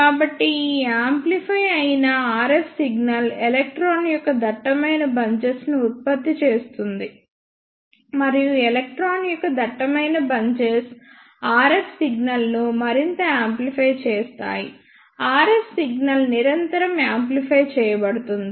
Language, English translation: Telugu, So, this amplified RF signal will produce denser bunches of electron, and those denser bunches of electron will further amplify the RF signal, RF signal is continuously amplified